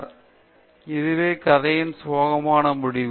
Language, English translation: Tamil, So, this is the sad end of the story